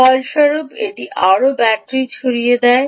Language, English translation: Bengali, as a result, it dissipates more battery